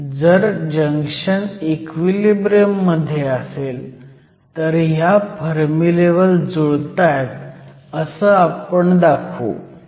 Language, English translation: Marathi, So, if you have a junction in equilibrium, we would show that the Fermi levels line up